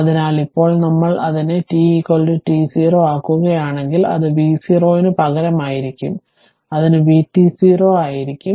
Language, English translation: Malayalam, So, but now if we make it t is equal to t 0, then it will be instead of v 0, it will be v t 0 right